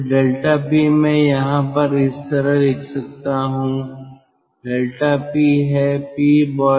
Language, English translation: Hindi, so delta p let me write somewhere over here delta p is p boiler minus p condenser